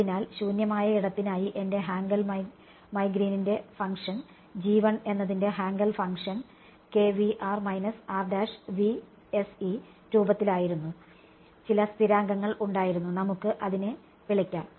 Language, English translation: Malayalam, So, for free space what was my Hankel my Green’s function G 1 was of the form Hankel function of k r minus r prime right some constants were there and let us call it